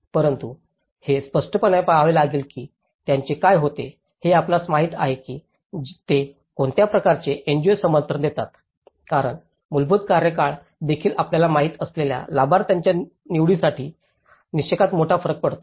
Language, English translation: Marathi, But, obviously one has to look at it obviously, what happens to these you know what kind of NGO support they give because the basic tenure also makes a big difference in the criteria of the selection of the you know, the beneficiaries